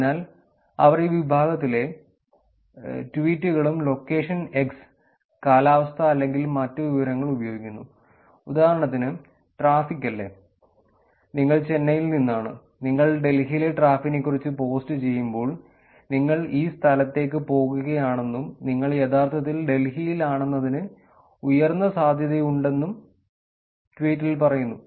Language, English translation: Malayalam, So, they were using this information and the tweets that were of this category which is user from location x and weather or other information, for example, even traffic right, you are from Chennai and you actually post you’re posting traffic about Delhi and the tweet is also saying that I am going to this place and that is a heavy traffic, there is a higher probability that you are actually in Delhi